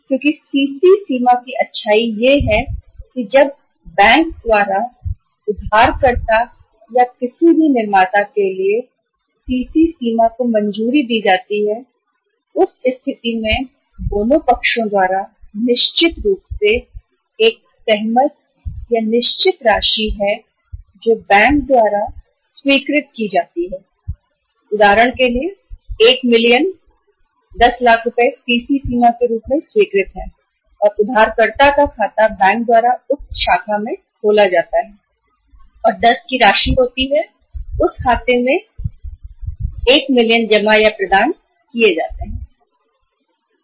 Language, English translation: Hindi, Because the beauty of the CC limit is that when the CC limit is sanctioned by the bank to the borrower or to any manufacturer, in that case a certain sum mutually agreed by both the sides is sanctioned by the bank say for example 1 million, 10 lakh rupees are sanctioned as a CC limit and an account of the borrower is opened by the bank in the in the said branch and an amount of 10 lakhs, 1 million is credited or provided in that account